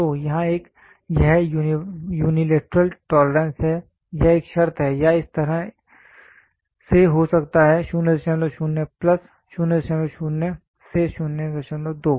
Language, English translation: Hindi, So, here it is unilateral tolerance this is one condition or it can be like this 0